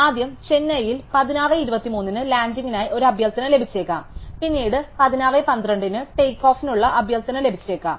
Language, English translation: Malayalam, So, we might first get a request for a landing in Chennai at 16:23 and later on we might get a request for a takeoff at 16:12 which is actually earlier